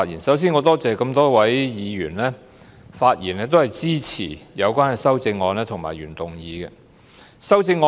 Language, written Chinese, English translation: Cantonese, 首先，我感謝多位議員發言支持有關的修正案及原議案。, First I am grateful to many Members who have spoken in support of the relevant amendments and the original motion